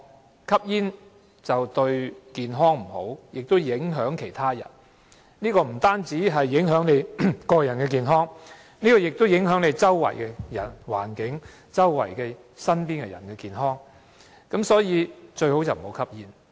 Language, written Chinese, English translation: Cantonese, 由於吸煙對健康有壞影響，不僅影響個人健康，也會影響周圍環境和吸煙者身邊人的健康，所以最好不要吸煙。, Since smoking has adverse impacts on health not merely to smokers but also their surrounding environment and the health of people around them it is better not to smoke